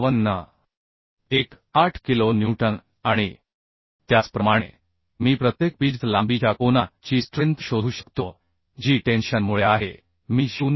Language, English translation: Marathi, 18 kilonewton and similarly I can find out the strength of angle per pitch length that is due to tension I can find out Tdn as 0